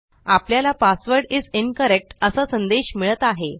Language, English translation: Marathi, We get an error message which says that the password is incorrect